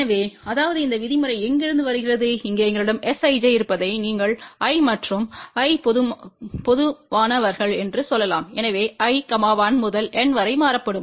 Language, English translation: Tamil, So, that is what this term comes from and here what we have S ij you can say i and i common, so i will vary from 1 to N